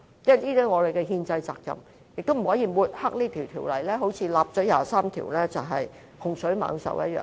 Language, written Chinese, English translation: Cantonese, 這是我們的憲制責任，而且也不能抹黑這項法例，說到第二十三條立法是洪水猛獸一樣。, It is our constitutional responsibility and we should not smear it and say that the legislation on Article 23 of the Basic Law a great scourge